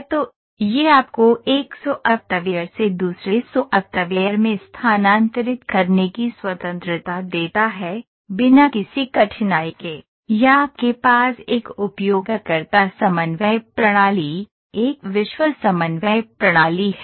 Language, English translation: Hindi, So, this gives you a freedom of transferring it from one software to the other software, without any difficulty, or you have a user coordinate system, you are a world coordinate system